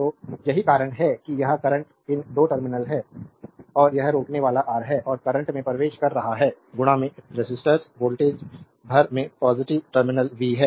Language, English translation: Hindi, So, that is why this is the current these a 2 terminal, and this is the resistor R and current is entering into the positive terminal across the resistor voltage is v